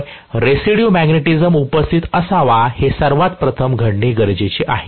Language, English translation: Marathi, So, residual magnetism should be present, that is the first thing that needs to happen